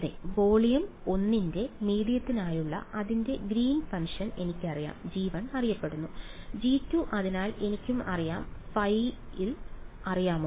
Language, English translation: Malayalam, Yes its Greens function for medium for the volume 1 I know it, g 1 is known, g 2 therefore, is also known do I know the phi’s